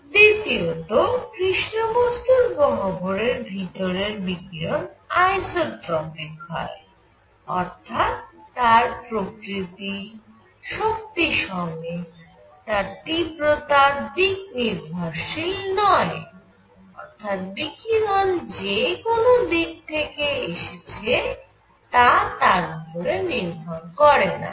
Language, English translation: Bengali, Number 2; the radiation inside a black body cavity is isotropic what; that means, is nature including strength; that means, intensity does not depend on which direction radiation is coming from